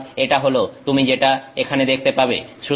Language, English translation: Bengali, So, this is what we are looking at